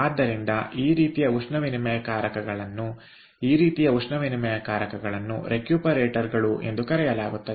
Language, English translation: Kannada, this type of heat exchangers are called recuperators